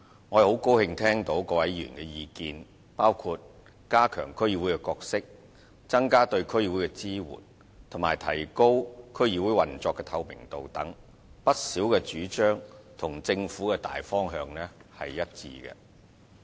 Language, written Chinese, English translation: Cantonese, 我很高興聽到各位議員的意見，包括加強區議會的角色、增加對區議會的支援及提高區議會運作的透明度等，不少主張與政府的大方向是一致的。, I am glad to hear the views expressed by Members including strengthening the role of DCs enhancing the support to DCs and enhancing the transparency of the operation of DCs . Quite a number of propositions are consistent with the general direction of the Government